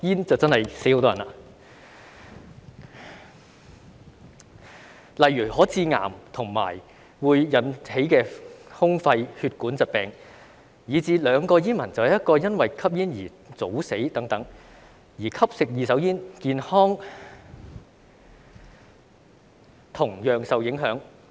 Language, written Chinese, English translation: Cantonese, 舉例來說，吸煙可以致癌，引起胸肺或血管疾病，以至每兩名煙民便有一人因吸煙而早死等，而吸食二手煙亦同樣影響健康。, For example smoking may cause cancer as well as chest lung and blood vessel diseases and one out of every two smokers dies prematurely due to smoking and second - hand smoke also affects health